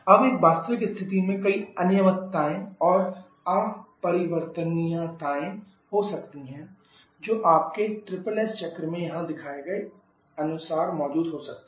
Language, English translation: Hindi, Now, in a real situation there can be several irregularities that can be present in your SSS cycle just like shown here